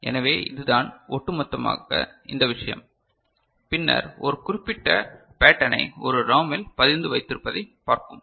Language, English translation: Tamil, So, this is the overall this thing and then we’ll look at having a particular pattern ingrained in a ROM